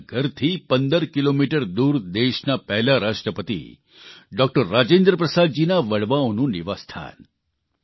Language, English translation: Gujarati, The place was 15 kilometers away from her home it was the ancestral residence of the country's first President Dr Rajendra Prasad ji